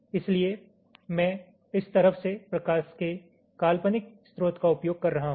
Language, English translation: Hindi, so i am using an imaginary source of light from this side